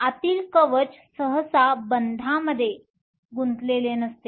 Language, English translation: Marathi, The inner shell is usually not involved in bonding